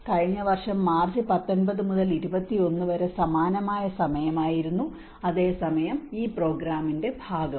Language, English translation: Malayalam, And this was similar time last year 19 to 21st of March whereas also part of this program